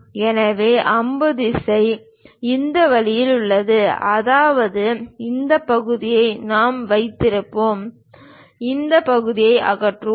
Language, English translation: Tamil, So, arrow direction is in this way; that means this part we will keep it and this part we will remove it